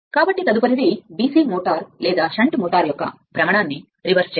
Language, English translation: Telugu, So, next is the reversal of rotation of DC motor or shunt motor